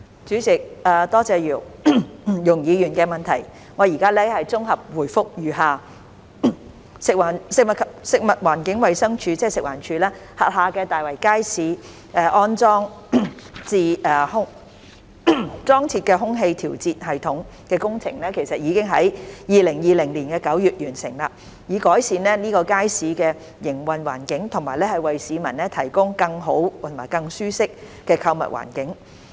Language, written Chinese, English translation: Cantonese, 主席，多謝容議員的質詢，我現作綜合回覆如下：食物環境衞生署轄下大圍街市裝設空氣調節系統的工程已在2020年9月完成，以改善該街市的營運環境和為市民提供更好及舒適的購物環境。, President thank Ms YUNG for the question . My consolidated reply is as follows The installation works of the air - conditioning system at Tai Wai Market the Market under the Food and Environmental Hygiene Department FEHD was completed in September 2020 . The objective was to improve the operating environment of the Market and provide a better and more comfortable shopping environment for the public